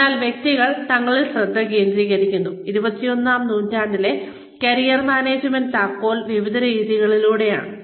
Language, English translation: Malayalam, So, in this case, the key to Career Management, for the 21st century, where individuals focus on themselves